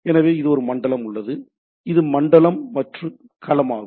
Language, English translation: Tamil, So that means, we have zone and domain